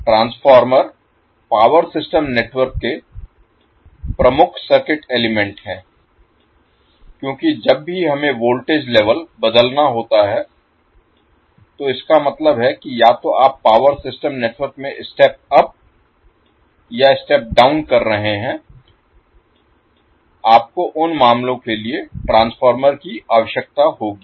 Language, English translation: Hindi, Transformer are the key circuit elements of power system network why because whenever we have to change the voltage level that means either you are stepping up or stepping down in the power system network you need transformer for those cases